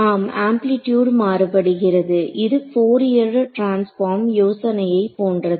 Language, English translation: Tamil, Amplitude is varying that I am; it is like a like a Fourier transform idea